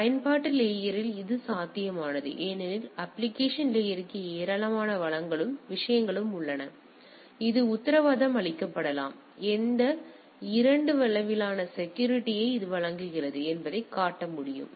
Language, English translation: Tamil, Now this is possible at the application layer because the application layer has lot of resource and the things and it can be guaranteed, it can be shown that these 2 what level of security it provides that the message cannot be deciphered right